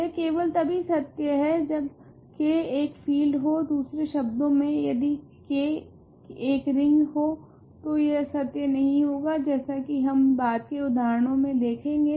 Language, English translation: Hindi, This is only true if K is a field in other words if K is just a ring this is not true as we will do in examples later